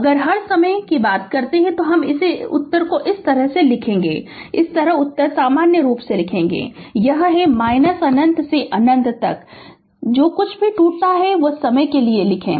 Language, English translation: Hindi, If says all time then in this way you will write the answer right this way you write the answer in general, it is minus infinity to plus infinity whatever break up is there for time you write right